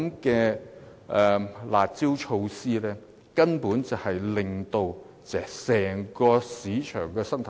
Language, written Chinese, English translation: Cantonese, 因此，"辣招"措施根本只會攪亂整個市場生態。, In this way curb measures will simply disrupt the ecology of the whole market